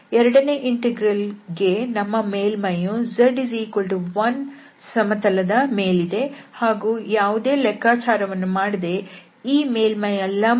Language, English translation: Kannada, So for the second integral, so this is our surface which is lying in this Z is equal to 1 plane and we know already without any calculation that what is the normal to the surface